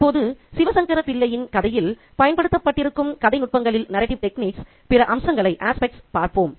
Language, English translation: Tamil, Now, let's look at other aspects of narrative techniques that are employed in Sivasankerapal story